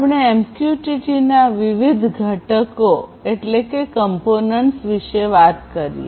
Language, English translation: Gujarati, In MQTT we are talking about different components